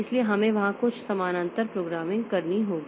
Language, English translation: Hindi, So, we have to do some parallel programming there